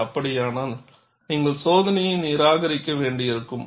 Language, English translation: Tamil, If that is so, then you may have to discard the test